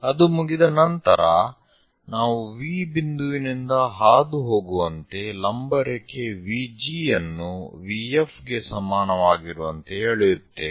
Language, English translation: Kannada, Once that is done, we draw a perpendicular VG is equal to VF passing through V point